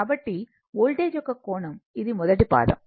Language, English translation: Telugu, So, angle of the voltage this is first quadrant